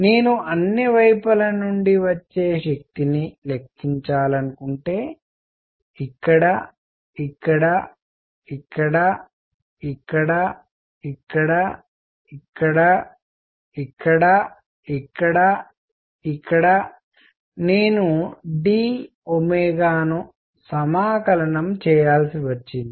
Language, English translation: Telugu, And if I want to calculate the power coming from all sides, so here, here, here, here, here, here, here, here, I got to integrate over d omega